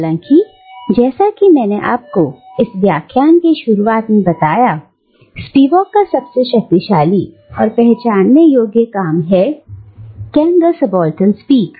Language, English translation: Hindi, However, as I've told you near the beginning of this lecture, Spivak's most influential and recognisable work has remained, "Can the Subaltern Speak